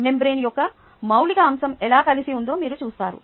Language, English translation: Telugu, here you see how the elemental aspect of the membrane is put together